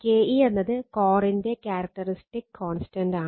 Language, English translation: Malayalam, So, K e is the characteristic constant of the core right